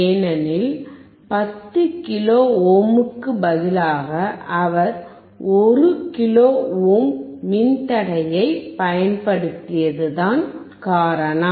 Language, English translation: Tamil, Because instead of 10 kilo ohm, he used a resistor of one kilo ohm